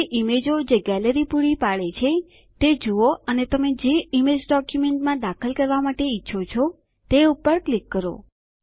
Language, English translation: Gujarati, Now go through the images which the Gallery provides and click on the image you want to insert into your document